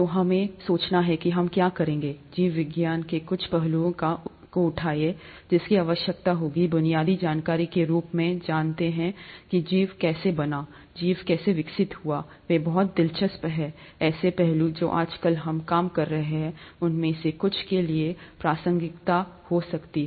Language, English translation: Hindi, What we thought we would do, is pick up some aspects of biology, that, one would need to know as basic information, as to how life evolved, how life formed, how life evolved, they are very interesting aspects which could have a relevance to some of the things that we’re dealing with nowadays